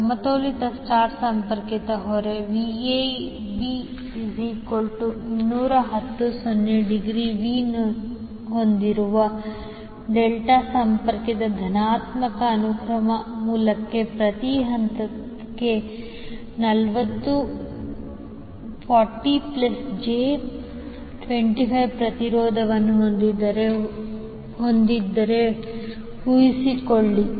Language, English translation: Kannada, Suppose if balanced star connected load is having impedance of 40 plus j25 ohm per phase is connected to delta connected positive sequence source having Vab equal to 210 angle 0 degree